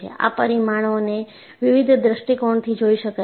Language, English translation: Gujarati, And these parameters can also be looked from different points of view